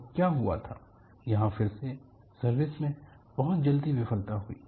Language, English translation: Hindi, And what happened was, here again, the failure occurred very early in the service